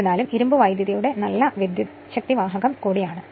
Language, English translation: Malayalam, However, iron is also a good conductor of electricity